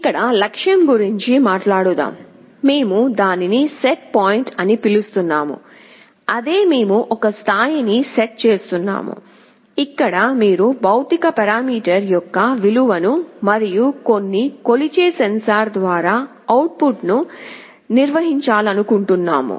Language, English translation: Telugu, Let us talk about the goal here, we are calling it setpoint … same thing we are setting a level, where you want to maintain the value of a physical parameter to and the output through some sensor we are measuring it